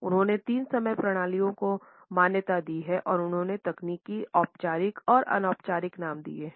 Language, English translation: Hindi, He has recognized three time systems and named them as technical, formal and informal